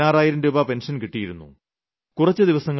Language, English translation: Malayalam, He receives a pension of sixteen thousand rupees